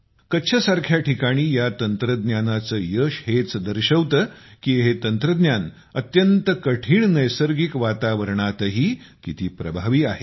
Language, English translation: Marathi, Its success in a place like Kutch shows how effective this technology is, even in the toughest of natural environments